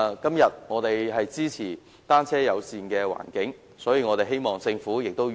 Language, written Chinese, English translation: Cantonese, 今天，我們支持單車友善的環境，所以希望政府與時並進。, Today we support a bicycle - friendly environment and therefore we hope that the Government can progress with the times